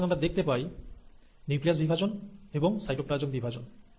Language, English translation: Bengali, So you have nuclear division, you have cytoplasmic division